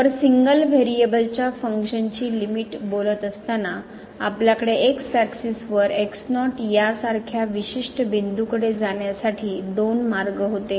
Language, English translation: Marathi, So, while talking the limit for a function of single variable, we had two paths to approach a particular point here on axis like in this case